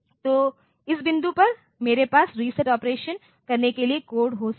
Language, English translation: Hindi, So, at this point I can have the code for doing the reset operation